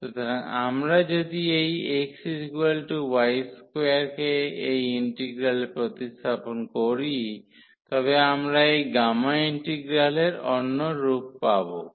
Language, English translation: Bengali, So, if we substitute this x is equal to y square in this integral if we substitute x is equal to y square this will have another form of this gamma integral